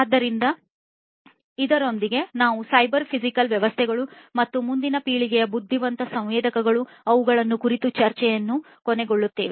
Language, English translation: Kannada, So, with this we come to an end of cyber physical systems and next generation intelligent sensors, discussions on them